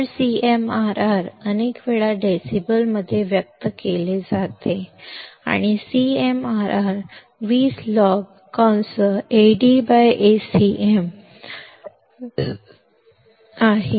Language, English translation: Marathi, So, CMRR is many times expressed in decibels and CMRR is nothing but 20 log Ad by Acm